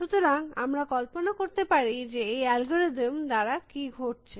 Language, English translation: Bengali, So, we can visualize what is happening with this algorithm